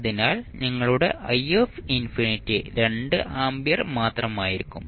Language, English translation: Malayalam, So, in that case your I infinity would be nothing but 2 ampere